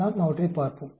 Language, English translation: Tamil, We look at them